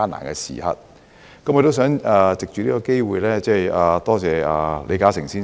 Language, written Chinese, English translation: Cantonese, 我想藉此機會感謝李嘉誠先生。, I wish to take this opportunity to thank Mr LI Ka - shing